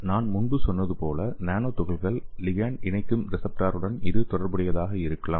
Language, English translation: Tamil, As I told you earlier it may be associated with the receptor that nanoparticle ligands attach to